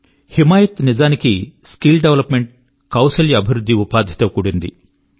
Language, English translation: Telugu, The 'Himayat Programme' is actually associated with skill development and employment